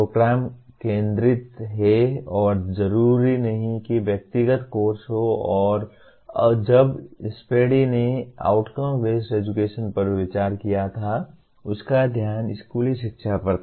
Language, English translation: Hindi, Program is the focus and not necessarily the individual course and when Spady considered outcome based education his focus was on school education